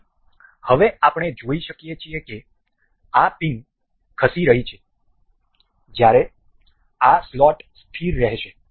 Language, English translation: Gujarati, So, now we can see you can see this pin to be moving while this slot remains fixed